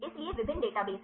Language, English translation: Hindi, So, there are various databases